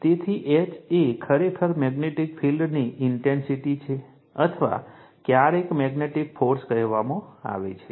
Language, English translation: Gujarati, So, H is actually magnetic field intensity or sometimes we call magnetizing force right